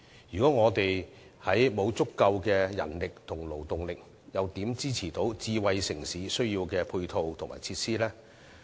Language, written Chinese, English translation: Cantonese, 如果沒有足夠人力及勞動力，又如何能夠支持智慧城市所需的配套及設施呢？, Without adequate manpower and labour force how can a smart city support the ancillary facilities required?